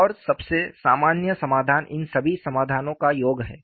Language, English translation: Hindi, And the most general solution is the sum of all these solutions